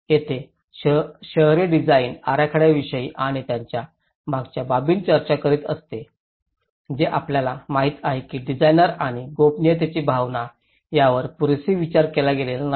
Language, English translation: Marathi, Here, the urban design issues talks about the fronts and backs you know how it is not sufficiently thought by the designers and a sense of privacy